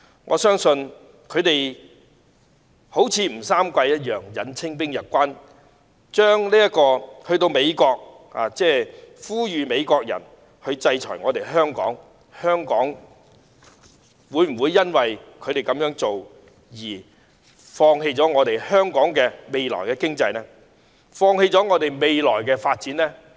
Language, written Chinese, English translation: Cantonese, 我相信他們現時就像吳三桂引清兵入關般，前往美國呼籲美國制裁香港，但香港會否因為他們這樣做便放棄自己的經濟，放棄未來的發展呢？, I believe these peoples call for the United States to punish Hong Kong is like General WU Sangui inviting the Manchu forces to invade his own country . Will Hong Kong abandon its economy and future development just because of what these people have done?